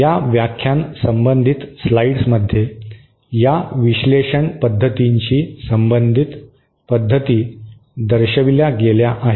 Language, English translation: Marathi, The methods have been shown in the slides associated with this analysis methods have been shown in the slides associated with this lecture